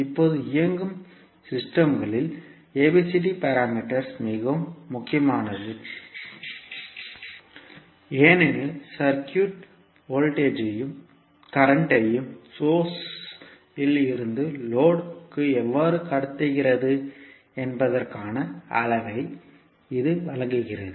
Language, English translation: Tamil, Now ABCD parameter is very important in powered systems because it provides measure of how circuit transmits voltage and current from source to load